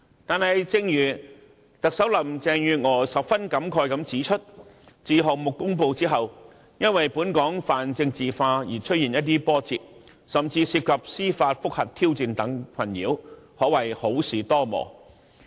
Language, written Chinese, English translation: Cantonese, 但是，正如特首林鄭月娥十分感慨地指出，自項目公布後，因本港泛政治化的環境而出現一些波折，甚至面對司法覆核等挑戰的困擾，可謂好事多磨。, However just as Chief Executive Carrie LAM lamented after the announcement of the project the project suffered some setbacks and was even plagued by challenges like judicial review because of the politicized environment in Hong Kong . It can be said that the project is preceded by trials and tribulations